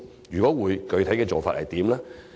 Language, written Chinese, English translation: Cantonese, 若會，具體做法如何？, If yes what are the specific measures?